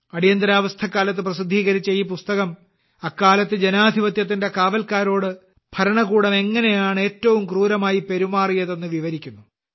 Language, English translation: Malayalam, This book, published during the Emergency, describes how, at that time, the government was treating the guardians of democracy most cruelly